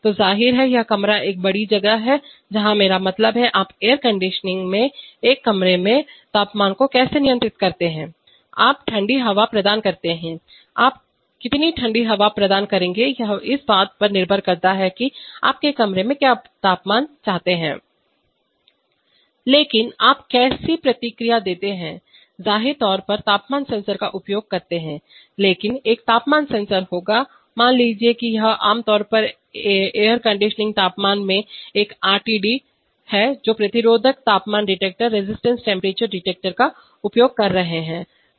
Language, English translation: Hindi, So obviously, this room is a big place where I mean, how do you control the temperature in a room typical in air conditioning you provide cold air, now how much cold air you will provide depends on what temperature you want in the room but how do you give feedback, obviously using temperature sensors but a temperature sensor will, suppose it is a RTD typically in air conditioning temperatures are sense using resistance temperature detectors